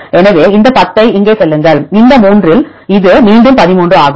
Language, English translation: Tamil, So, go this 10 here; this is again among these 3 is 13